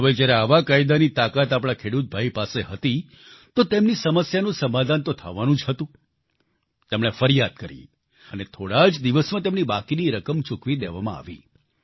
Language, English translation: Gujarati, Now, with our farmer brother empowered with this law, his grievance had to be redressed ; consequently, he lodged a complaint and within days his outstanding payments were cleared